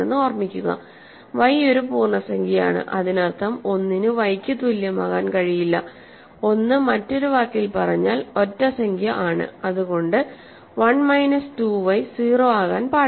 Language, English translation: Malayalam, Remember, y is an integer; that means, 1 cannot equal to y, 1 is an odd integer in other words so, 1 minus 2 y cannot be 0